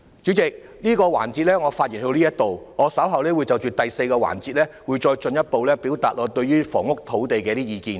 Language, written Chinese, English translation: Cantonese, 主席，我在這個環節的發言到此為止，稍後我會在第四個環節，進一步表達我對於房屋和土地的意見。, President that concludes my speech for this session . I will further put forward my views on housing and land in the forthcoming fourth session